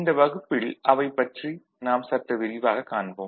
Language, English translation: Tamil, And in this class we shall elaborate more on that